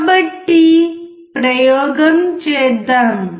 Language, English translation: Telugu, So, let us perform the experiment